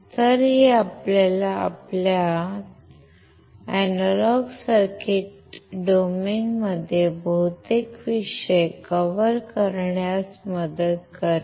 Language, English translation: Marathi, So, it will help you to cover most of the topics, in your analog circuit domain